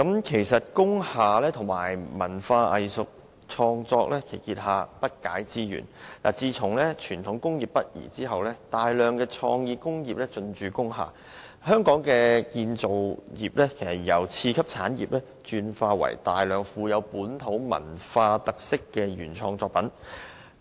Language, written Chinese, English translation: Cantonese, 其實工廈及文化藝術創作結下的不解之緣，可追溯至傳統工業北移後工廈騰空，讓大量創意工業進駐，香港的製造業便由次級產業轉為生產大量富有本地文化特色原創作品的產業。, The close tie between industrial buildings and the arts and cultural creation can date back to the relocation of Hong Kongs manufacturing industries to the north . Their removal has made way for a flock of creative industries moving in . Hong Kongs industry has since then transformed from the secondary industry into the production of a variety of original works with local characteristics